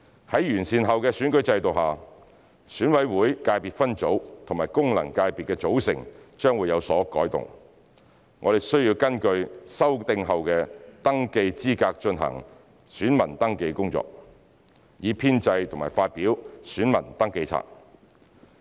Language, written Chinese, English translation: Cantonese, 在完善後的選舉制度下，選委會界別分組和功能界別的組成將會有所改動，我們需要根據修訂後的登記資格進行選民登記工作，以編製和發表選民登記冊。, Under the improved electoral system the constitution of ECSS and functional constituencies FCs will be revised . The authorities need to carry out voter registration VR based on the revised registration eligibility in order to compile and publish the register of voters